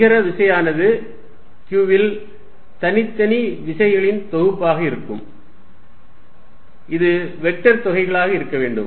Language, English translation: Tamil, Then the net force is going to be summation of individual forces on q, and this has to be vector sums